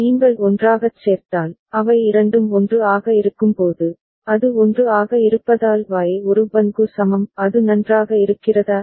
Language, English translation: Tamil, If you put together, when both them are 1, it is 1 so Y is equal to An Bn is it fine